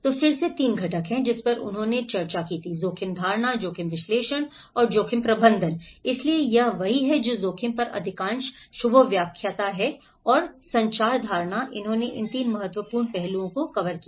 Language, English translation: Hindi, So, then again there are 3 components, which he also discussed was risk perception, risk analysis and the risk management so this is what most of the Shubhos lecturer on risk and also the communication, the perception, he covered these 3 important aspects